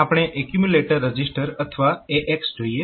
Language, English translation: Gujarati, Accumulator register or AX